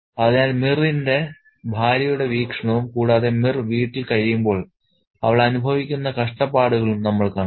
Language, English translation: Malayalam, Okay, so we have seen the perspective of Mir's wife and the suffering that she undergoes when Mirst stays at home